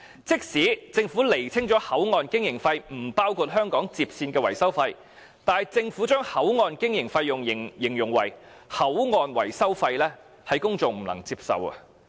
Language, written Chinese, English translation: Cantonese, 即使政府釐清口岸經營費不包括香港接線的維修費，但政府將口岸經營費用形容為口岸維修費，是公眾不能夠接受的。, Even though the Government has clarified that HKBCF operating cost does not include HKLR maintenance cost its description of HKBCF operating cost as HKBCF maintenance cost is unacceptable to the public